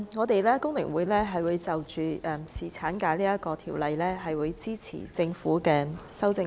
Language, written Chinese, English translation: Cantonese, 代理主席，就着侍產假這項條例，香港工會聯合會會支持政府的修正案。, Deputy President the Hong Kong Federation of Trade Unions FTU will support the Governments amendment to the Employment Ordinance in relation to paternity leave